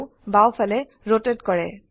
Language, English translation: Assamese, The view rotates to the left